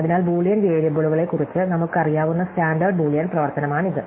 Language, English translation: Malayalam, So, this is the standard Boolean operations that we know about Boolean variables